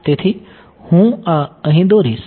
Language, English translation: Gujarati, So, I will draw this here